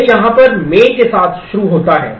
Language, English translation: Hindi, It starts on here with the main